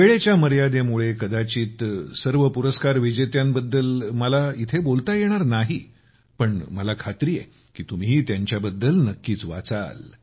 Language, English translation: Marathi, Due to the limitation of time, I may not be able to talk about all the awardees here, but I am sure that you will definitely read about them